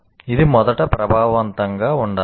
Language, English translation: Telugu, It should be effective first